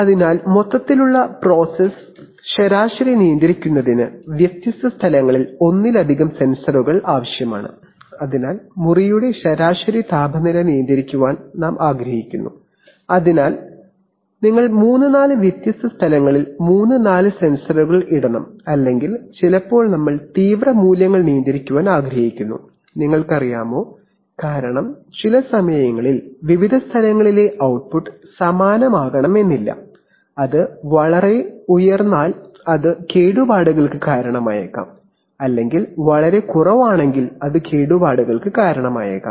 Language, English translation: Malayalam, So therefore multiple sensors at different locations are needed to control the overall process average, so you want to control the average temperature of the room, so you have to put three four sensors at three four different locations or sometimes we want to control extreme values, you know, because sometimes the output at various places may not be the same and if it goes too high it may cause damage or if it goes too low it may cause damage